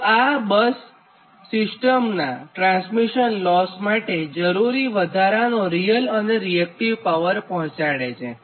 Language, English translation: Gujarati, so this bus provides the additional real and reactive power to supply the transmission losses, that is the slack bus